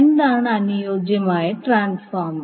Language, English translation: Malayalam, Now what is ideal transformer